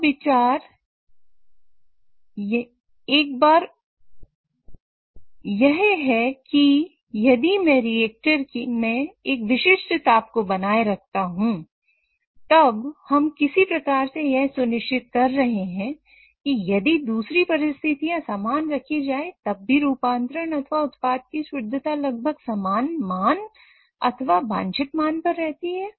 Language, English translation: Hindi, And the idea here is if I maintain a particular temperature in this reactor, then we are also somehow ensuring that if all the other conditions remain the same, then even the conversion or the product purity remains more or less at the same value or the desired value